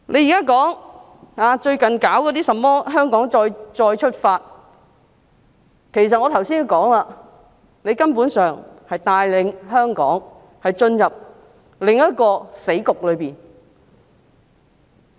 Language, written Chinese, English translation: Cantonese, 政府最近搞甚麼"香港再出發"，其實正如我剛才所說，根本是帶領香港進入另一個死局。, Recently the Government has rolled out the programme Hong Kong Coalition which as I have said earlier is actually leading Hong Kong into another dead end